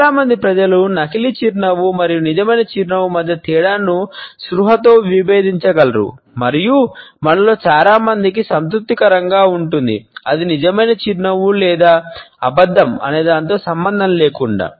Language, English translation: Telugu, Most people can consciously differentiate between a fake smile and a real one, and most of us are content to someone is simply smiling at us, regardless of whether its real or false